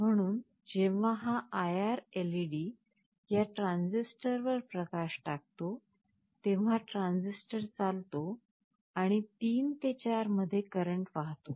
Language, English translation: Marathi, So, whenever this IR LED throws a light on this transistor, the transistor conducts and there will be a current flowing path from 3 to 4